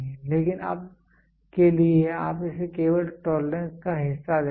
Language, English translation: Hindi, But as of now you will see only the tolerances part of it